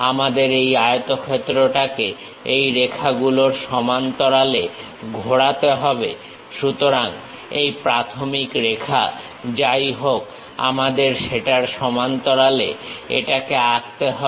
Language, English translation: Bengali, We have to turn this rectangle parallel to these lines so whatever, this initial line we have parallel to that we have to draw it